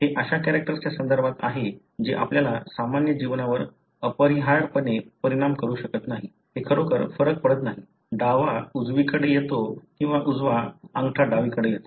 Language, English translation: Marathi, That is with regard to a character which may not necessarily affect your normal life it doesn’t really matter, the left comes over the right or the right thumb comes over the left